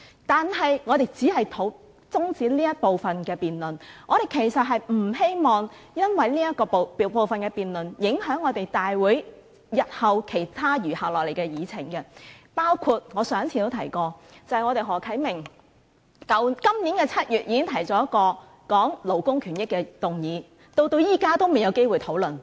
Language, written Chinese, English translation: Cantonese, 但是，我們只是想中止這部分的辯論，我們其實並不希望因為這部分的辯論而影響了大會日後其他餘下的議程，包括我上次提及的，便是何啟明議員今年7月已提出的一項有關勞工權益的議案，至今仍未有機會討論。, That said we only intend to adjourn the debate in relation to this agenda item . In fact we do not want to see that the remaining items on the agenda are affected by the present debate including the motion about employees rights and benefits proposed by Mr HO Kai - ming in as early as July this year . I have already mentioned the motion last time yet the Council still does not have a chance to discuss it to date